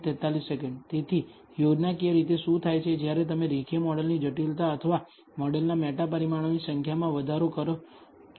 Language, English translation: Gujarati, So, schematically what happens when you actually increase the model complexity or the number of meta parameters of the model